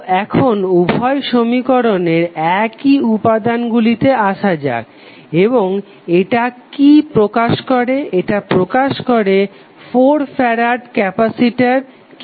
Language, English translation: Bengali, So, now comes to the element which is common in both equations and what it will represent, it will represent 4 farad capacitor, how